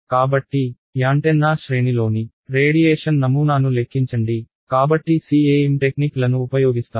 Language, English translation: Telugu, So, calculate the radiation pattern of on the antenna array, so you would use CEM techniques